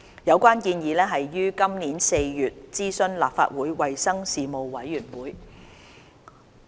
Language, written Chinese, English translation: Cantonese, 有關建議已於今年4月諮詢立法會衞生事務委員會。, The Legislative Council Panel on Health Services was consulted on the legislative proposal in April this year